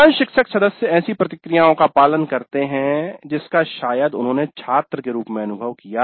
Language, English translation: Hindi, Most of the faculty members probably follow the processes they experienced as students